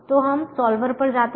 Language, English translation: Hindi, so we move to the solver